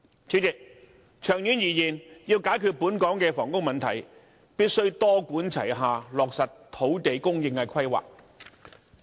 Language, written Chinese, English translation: Cantonese, 主席，長遠而言，要解決本港的房屋問題，必須多管齊下，落實土地供應的規劃。, In the long term President a multi - pronged approach must be adopted to implement planning on land supply in order to resolve the housing problem in Hong Kong